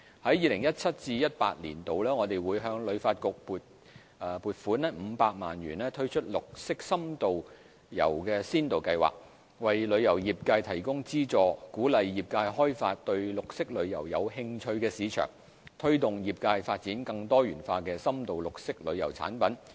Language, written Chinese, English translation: Cantonese, 在 2017-2018 年度，我們會向旅發局撥款500萬元推出"綠色深度遊先導計劃"，為旅遊業界提供資助，鼓勵業界開發對綠色旅遊有興趣的市場，推動業界發展更多元化的深度綠色旅遊產品。, In 2017 - 2018 we will allocate a funding of 5 million to HKTB to launch the Pilot scheme to promote in - depth green tourism . We will provide subsidies to the tourism industry to encourage its development of markets interested in green tourism and more diversified in - depth green tourism products